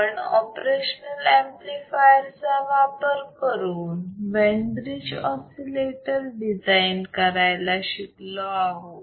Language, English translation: Marathi, What we have seen how we can design a Wein bride oscillator using operational amplifier